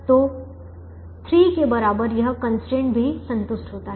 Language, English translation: Hindi, therefore this constraint is satisfied